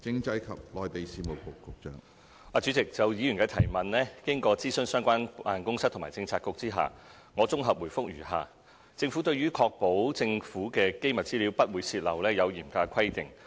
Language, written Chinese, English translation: Cantonese, 主席，就議員的質詢，經諮詢相關辦公室及政策局後，我綜合回覆如下：政府對於確保政府機密資料不會泄漏，有嚴格的規定。, President with regard to Members question after consulting the relevant offices and bureaux I am providing a consolidated reply as follows The Government has set very stringent rules to prevent any leakage of classified information